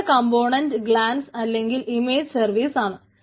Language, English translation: Malayalam, the next component is glance, or what we say that image services